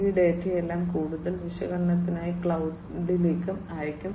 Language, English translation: Malayalam, And all these data will be sent to the cloud for further analytics and so on